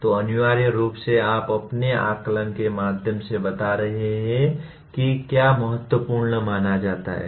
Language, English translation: Hindi, So essentially you are telling through your assessments what is considered important